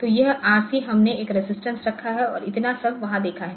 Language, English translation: Hindi, So, this RC, we put a resistance and so up to this much was there ok